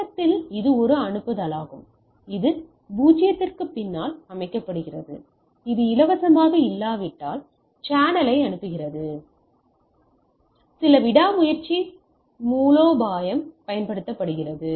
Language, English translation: Tamil, So, at the start it is a send set the back off to 0, it sends the channel if it is not free some persistence strategy is deployed